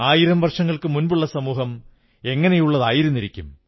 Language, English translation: Malayalam, How would society be a thousand years ago